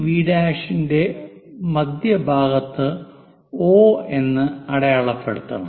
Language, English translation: Malayalam, Now we have to mark O at midpoint of VV prime